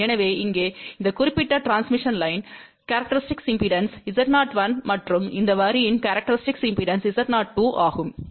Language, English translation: Tamil, So, here the characteristic impedance of this particular transmission line is Z 0 1 and the characteristic impedance of this line is Z 0 2